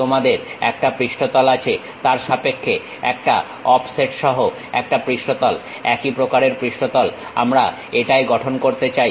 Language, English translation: Bengali, You have one surface with respect to that one surface with an offset, similar kind of surface we would like to construct it